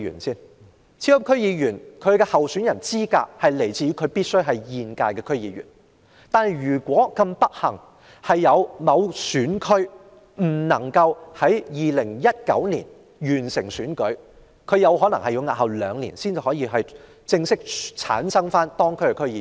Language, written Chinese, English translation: Cantonese, 超級區議員的候選資格是候選人必須是現屆區議員。若某選區不幸地未能在2019年完成區議會選舉，該選區便有可能要押後兩年才可選出區議員。, Given that only current DC members are allowed to run for super DC members if a DC constituency has unfortunately failed to complete its election in 2019 it may have to wait for two years to fill the vacancy of its DC member